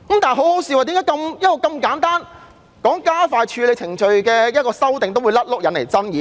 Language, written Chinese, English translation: Cantonese, 最可笑的是，為何如此簡單及希望加快處理程序的修訂也會引來爭議？, How ridiculous it is that such simple amendments like these which seek to expedite the processing procedures have given rise to so many controversies?